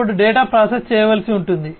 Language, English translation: Telugu, Then the data will have to be processed